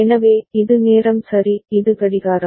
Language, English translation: Tamil, So, this is the time ok; this is the clock